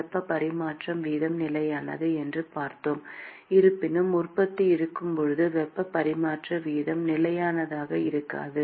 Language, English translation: Tamil, We saw that the heat transfer rate is constant; however, when there is generation, heat transfer rate is not constant